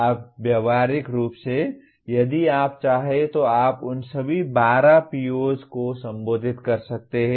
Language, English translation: Hindi, You can practically, if you want you can make them address all the 12 POs in that